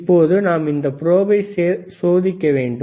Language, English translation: Tamil, Now, we have to test the probe